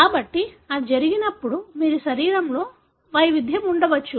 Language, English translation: Telugu, So, when that happens, you could have variation within a body